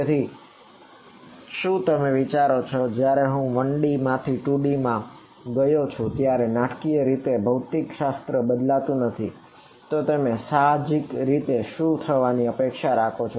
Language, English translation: Gujarati, So, do you think I mean the physics will not dramatically change when I go from 1D to 2D, so what do you intuitively expect to happen